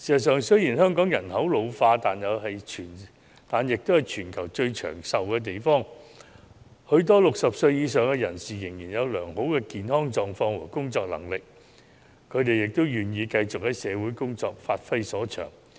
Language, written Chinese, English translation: Cantonese, 雖然香港人口老化，但香港也是全球最長壽的地方，很多60歲以上人士仍然有良好的健康狀況和工作能力，他們也願意繼續工作，發揮所長。, Although Hong Kong has an ageing population it is also a place where people have the longest lifespan in the world . Many people aged over 60 are still in good health and have work capacity and they are also willing to continue to work to give full play to their strength